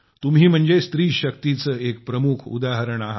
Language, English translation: Marathi, You too are a very big example of woman power